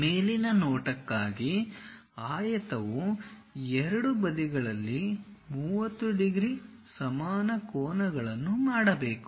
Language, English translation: Kannada, For the top view the rectangle has to make 30 degrees equal angles on both sides